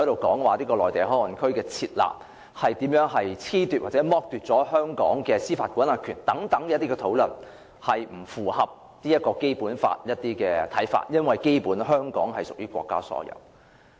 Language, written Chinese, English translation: Cantonese, 討論內地口岸區以租賃方式交予內地相關單位使用的安排，並不符合《基本法》規定，因為基本上香港屬國家所有。, It is against the Basic Law to discuss the arrangement under which MPA is handed over for use by relevant Mainland authorities by way of lease because Hong Kong is basically owned by the State